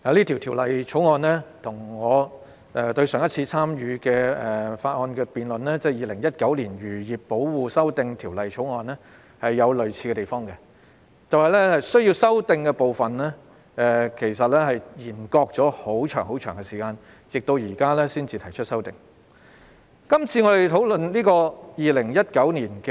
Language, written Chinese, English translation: Cantonese, 《條例草案》跟我上一次也有參與辯論的《2019年漁業保護條例草案》有相似之處，那就是政府當局是把修例工作延擱了很長的一段時間，直至現時才就須予修改的部分提出修訂建議。, The Bill is similar to the case of the Fisheries Protection Amendment Bill 2019 in that the Administration has deferred the legislative amendment exercise for a long while until now that it proposes to amend the parts as necessary